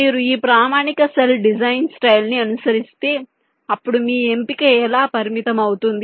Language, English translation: Telugu, you see, if you are following this standard cell design style, then your choice is very limited